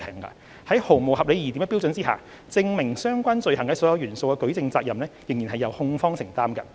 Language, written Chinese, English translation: Cantonese, 在毫無合理疑點的標準下，證明相關罪行的所有元素的舉證責任仍由控方承擔。, Beyond all reasonable doubt the burden of proof of all the ingredients of the offence charged should still be borne by the prosecution